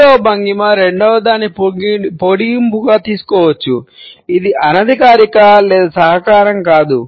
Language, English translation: Telugu, The third posture can be taken up as an extension of the second one; it is neither informal nor cooperative